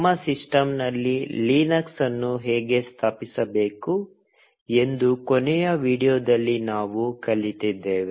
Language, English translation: Kannada, In the last video we learnt how to install Linux on our systems